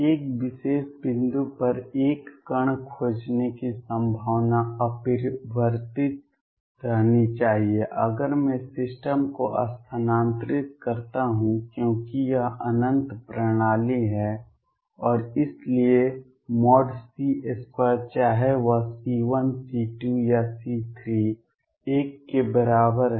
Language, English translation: Hindi, Probability of finding a particle at a particular point should remain unchanged, if I shift the system because is it is infinite system and therefore, mod c square whether it is C 1